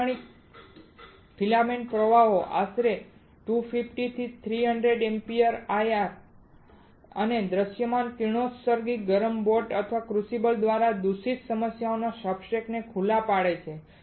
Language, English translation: Gujarati, Typical filament the currents are about 250 to 300 ampere exposes substrates to IR and visible radiation, contamination issues through heated boat or crucible